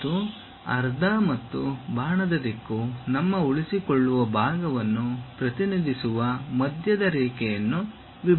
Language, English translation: Kannada, And, there should be a center line dividing that halves and arrow direction represents our retaining portion